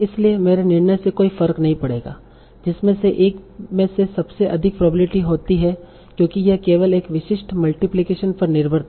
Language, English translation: Hindi, So it will not matter to my decision of which one is having the highest probability because this will simply depend on this particular multiplication